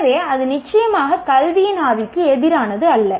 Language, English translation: Tamil, So it is certainly not against the spirit of education